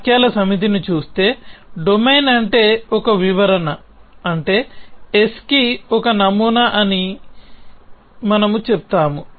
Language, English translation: Telugu, So, given a set of sentences s we say that a interpretation which means a domain an interpretation is a model for s